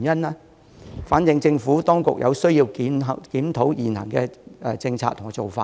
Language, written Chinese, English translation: Cantonese, 這情況反映出政府當局有需要檢討現行的政策和做法。, Such situation shows that the Administration needs to review the existing policy and approach